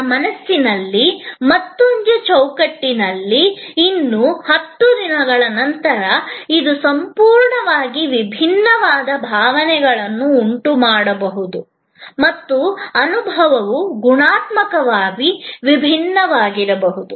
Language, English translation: Kannada, In another frame of my mind, 10 days later, it may evoke a complete different set of emotions and the experience may be qualitatively different